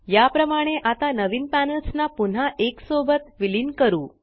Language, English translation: Marathi, Now, let us merge the new panels back together in the same way